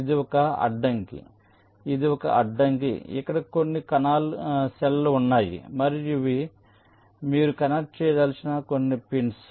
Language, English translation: Telugu, let say this is an obstacle, there is some cells and these are some pins which you want to connect